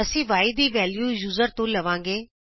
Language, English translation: Punjabi, we take the value of y as input from the user